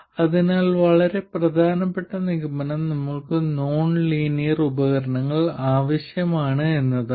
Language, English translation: Malayalam, So, the very important conclusion is that we need non linear devices